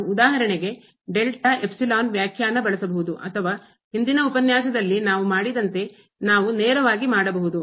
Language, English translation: Kannada, We can use for example, the delta epsilon definition or we can also do directly as we have done in the previous lecture